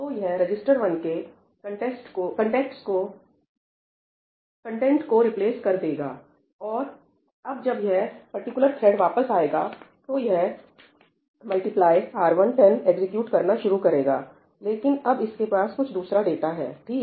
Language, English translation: Hindi, So, it is going to replace the contents of register 1, and now when this particular thread comes back, it comes back and starts executing ‘multiply R1 10’, but now it has some other data, right